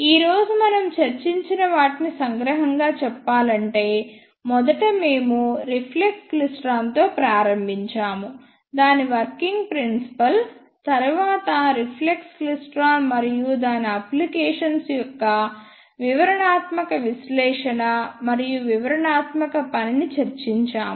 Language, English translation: Telugu, And just to summarize what we discussed today is first we started with reflex klystron, we discussed its working principle, then the detailed analysis and detailed working of reflex klystron and its applications